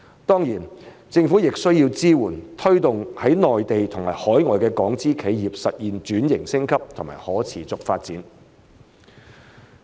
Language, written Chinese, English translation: Cantonese, 當然，政府亦需要支援和推動在內地和海外的港資企業實現轉型升級和可持續發展。, Certainly the Government also needs to support and push forward the transformation upgrade and sustainable development of Hong Kong - invested enterprises in the Mainland and overseas